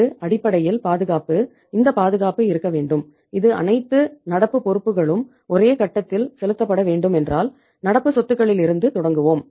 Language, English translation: Tamil, This was basically cushion that this cushion should be there that if all the current liabilities if are paid to be paid at one point of time so we will start from the assets current assets